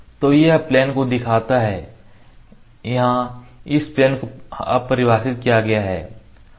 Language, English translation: Hindi, So, it has shown this plane here this plane one is now defined